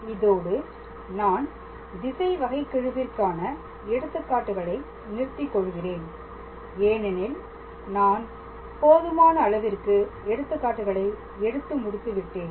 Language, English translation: Tamil, So, I will stop with the examples on directional derivative, because I have tried to cover as many examples as possible